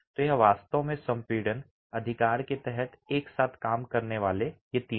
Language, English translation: Hindi, So, it's really these three working together under compression, right